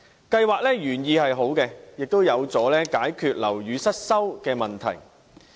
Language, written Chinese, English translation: Cantonese, 計劃的原意是好的，亦有助解決樓宇失修的問題。, The original intent of MBIS is good and it is conducive to resolving the problem of building neglect